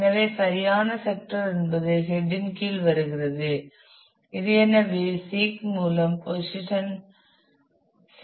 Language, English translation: Tamil, So, that the correct sector comes under the head which is already positioned through the seek